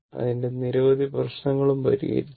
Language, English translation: Malayalam, And so, many problems we have solved